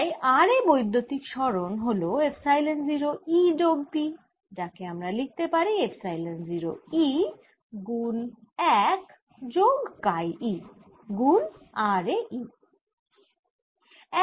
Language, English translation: Bengali, so displacement therefore at r is given as epsilon zero, e plus p, which i can write as epsilon zero, one plus kai, e at r